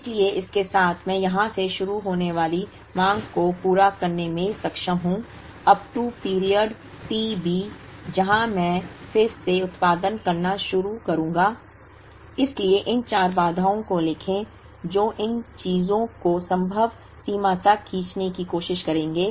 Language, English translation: Hindi, So, with this I should be able to the meet the demand starting from here, up to the period t B where I start producing again, so write these four constraints that will try to stretch these things to the extent possible